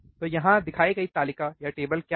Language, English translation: Hindi, So, what is the table shown here